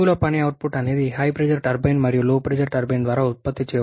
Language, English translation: Telugu, The gross work output is the workload is by HP turbine plus what produced by the LP turbine